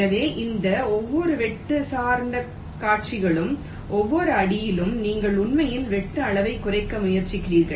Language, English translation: Tamil, so so each of these cut oriented sequences, at every step, you are actually trying to minimize the cutsize